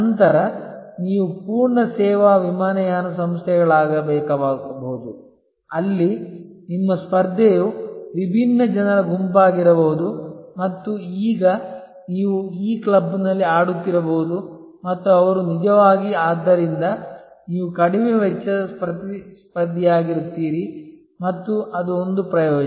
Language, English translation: Kannada, You then may need to become a full service airlines, where your competition will be a different set of people and may be then you will be playing in this club and they are actually therefore, you will become the lowest cost competitor and that will be an advantage